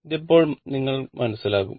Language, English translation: Malayalam, So, this is understandable